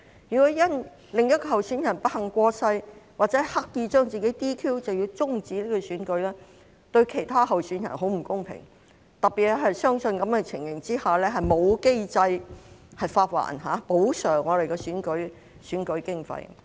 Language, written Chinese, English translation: Cantonese, 如果因另一位候選人不幸過世或刻意把自己 "DQ"， 便要終止選舉，對其他候選人很不公平，特別是在這樣的情況下，沒有機制發還或補償候選人的選舉經費。, If the election is terminated because another candidate has unfortunately passed away or deliberately got himself disqualified it is unfair to the other candidates especially when there is no mechanism to reimburse or compensate the candidates for their election expenses under such circumstances